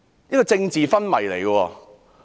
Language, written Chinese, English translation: Cantonese, 這是政治昏迷。, It is a political coma